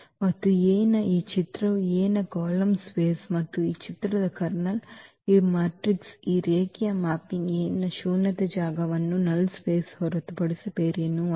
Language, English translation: Kannada, And this image of A is nothing but the column space of A and this image the kernel of this matrix this linear mapping A is nothing but the null the null space of A